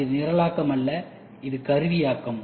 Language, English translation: Tamil, And it is not the programming, it is also the tooling